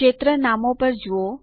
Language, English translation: Gujarati, Look at the field names